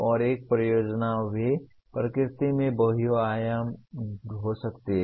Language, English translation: Hindi, And a project can be also be multidisciplinary in nature